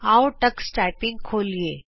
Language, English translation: Punjabi, Let us open Tux Typing